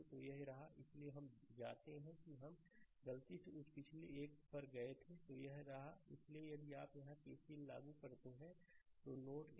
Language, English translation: Hindi, So, here, right; so, we go we went to that previous one by mistake; so, here; so, node 1 if you apply KCL here